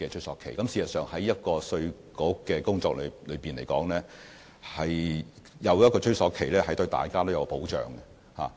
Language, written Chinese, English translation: Cantonese, 事實上，在稅務局的工作中，設有追溯年期對大家都有保障。, In fact as far as the work of IRD is concerned the introduction of a retrospective period serves to safeguard all parties